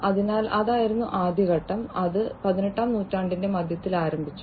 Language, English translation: Malayalam, So, that was the first stage and that started in the middle of the 18th century